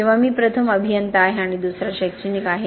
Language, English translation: Marathi, Or am I an engineer first and an academic second